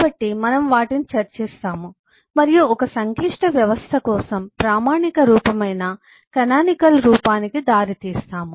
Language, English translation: Telugu, so we will discuss those and eh leading to certain kind of a canonical form, standardized form for a complex system